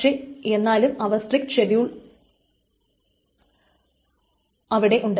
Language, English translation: Malayalam, Then there can be schedules which are strict